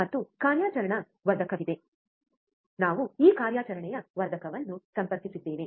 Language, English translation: Kannada, And there are there is a operational amplifier, we have connected this operational amplifier